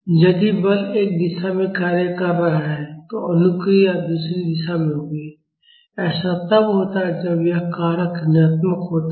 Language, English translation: Hindi, If the force is acting in one direction, the response will be in other direction; that is what happens when this factor is negative